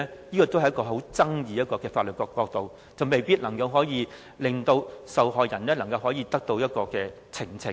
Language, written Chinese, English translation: Cantonese, 這也是具有爭議的法律角度，未必能令受害人得到呈請。, This is debatable from the legal point of view and the result may not be in favour of the victim